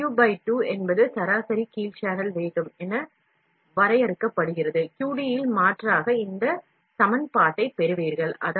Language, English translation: Tamil, W by 2 is defined as the mean down channel velocity, substituting back in the QD you get this equation